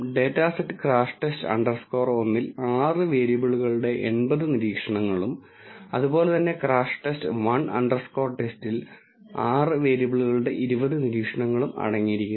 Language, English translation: Malayalam, The data set crash test underscore one contains 80 observations of 6 variables and similarly crash test underscore 1 underscore TEST contains 20 observations of 6 variables